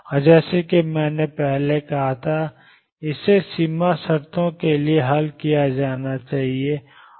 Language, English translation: Hindi, And as I said earlier this is to be solved with boundary conditions